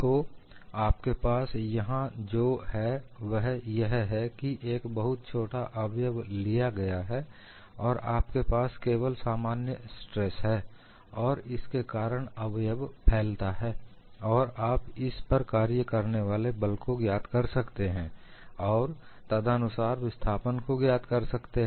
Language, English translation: Hindi, So, what you have here is, a small element is taken and you are having only normal stress, because of that the element has elongated and you can find out the force which is acting on it, you can find out the corresponding displacement and it is fairly straight forward